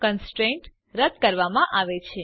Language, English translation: Gujarati, The constraint is removed